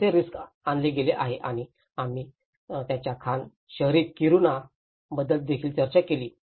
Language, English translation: Marathi, How it has been subjected to risk and we also discussed about Kiruna, their mining town